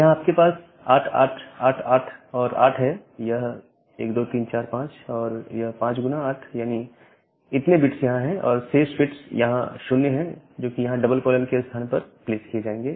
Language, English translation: Hindi, So, you have 8888 and 8 1 2 3 4 5 5 into 8, that many bits are there and remaining bits are 0, which will be placed here in the place of those two double colons